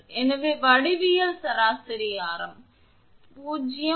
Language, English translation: Tamil, So, the geometric mean radius is 0